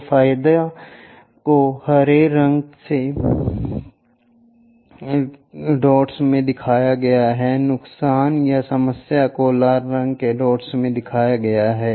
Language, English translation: Hindi, So, the advantages are shown in green colour dots, the disadvantages or problems are shown in red colour dots